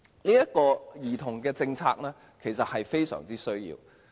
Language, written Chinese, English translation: Cantonese, 這項兒童的政策其實非常必要。, This policy concerning children is in fact most essential